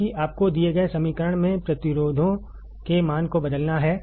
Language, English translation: Hindi, Because you have to just substitute the value of the resistors in the given equation